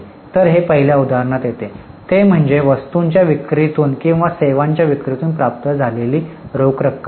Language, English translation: Marathi, So, it falls in the first example, that is cash received from sale of goods for rendering services